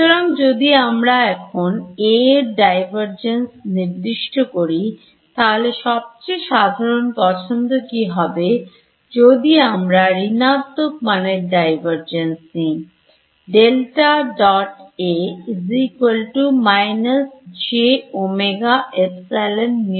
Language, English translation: Bengali, So, if I now specify the divergence of A in and what is the most natural choice for divergence of a negative of this term ok